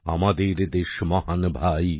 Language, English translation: Bengali, Our country is great brother